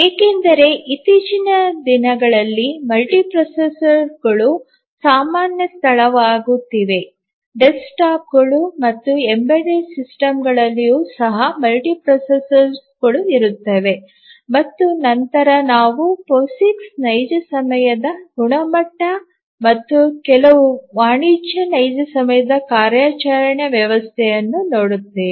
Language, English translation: Kannada, Because nowadays multiprocessors are becoming common place even the desktops embedded devices have multiprocessors and then we will look at the Posix real time standard and then we will look at some of the commercial real time operating system